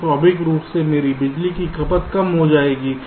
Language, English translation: Hindi, so naturally my power consumption will be reduced